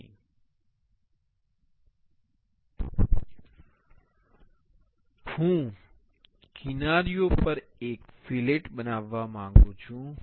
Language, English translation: Gujarati, So, I want to make a fillet on the edges